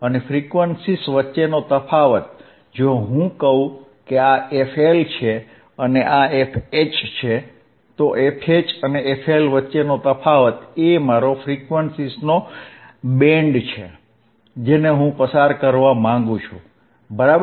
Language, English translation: Gujarati, And the difference between frequencies, if I say this is f L and this is f H, then a difference between f H and f L, this is my band of frequencies that I want to pass, alright